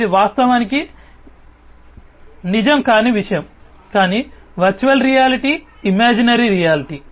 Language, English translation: Telugu, It is something that is not real in fact, but is a virtual reality imaginary reality